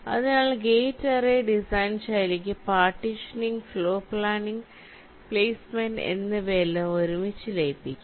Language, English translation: Malayalam, so for gate array, design style, the partitioning, floorplanning, placement, all this three can be merged together